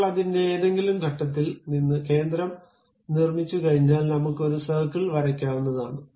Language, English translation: Malayalam, Now, once center is constructed from any point of that, you are going to draw a circle